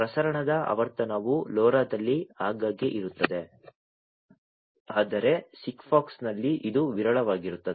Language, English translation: Kannada, The frequency of transmission is frequent in LoRa whereas, in SIGFOX it is infrequent